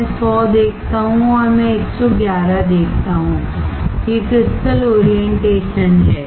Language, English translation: Hindi, I see 100 and I see 111, these are the crystal orientation